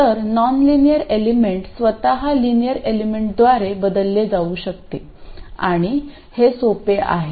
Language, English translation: Marathi, So, the nonlinear element can be itself replaced by a linear element